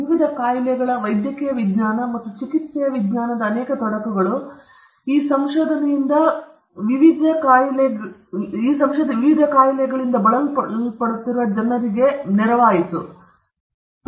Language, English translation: Kannada, And many implications to the science of medicine and treatment of various ailments, this discovery or that or rather this invention would have helped a lot of people all over the world who are suffering from various diseases and ailments